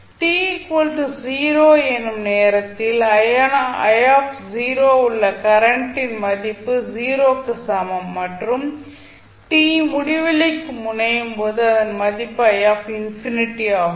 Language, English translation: Tamil, I naught is the value of current at t is equal to 0 and I infinity is the current at time t that is tends to infinity